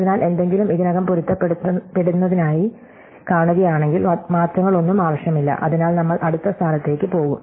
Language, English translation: Malayalam, So, if we see that something is already matched, then no changes needed, so we just move ahead to the next position